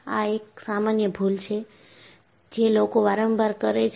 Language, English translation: Gujarati, This is one of the common mistakes people do